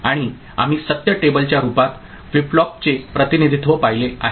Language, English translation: Marathi, And we had seen representation of flip flop in the form of truth table